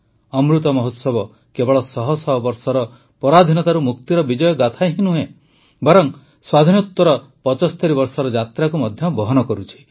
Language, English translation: Odia, The Amrit Mahotsav not only encompasses the victory saga of freedom from hundreds of years of slavery, but also the journey of 75 years after independence